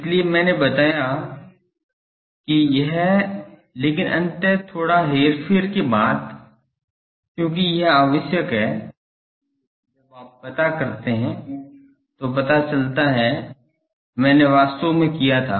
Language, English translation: Hindi, So, I have indicated that this, but ultimately after a bit manipulation, because this is required, because when you do I did actually